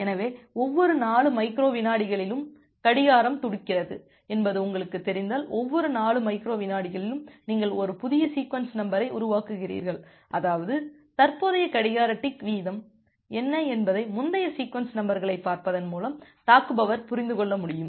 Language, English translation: Tamil, So, if you know that well the clock is ticking at every 4 microsecond and at every 4 microsecond you are generating a new sequence number; that means, an attacker will be able to understand by looking into the previous sequence numbers that, what is the clock tick rate, current clock tick rate